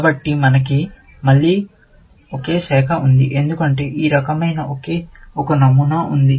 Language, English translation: Telugu, So, again, we have only one branch, because there is only one pattern of this kind